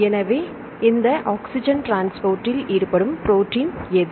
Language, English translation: Tamil, So, which what is the protein involved in this transport oxygen transport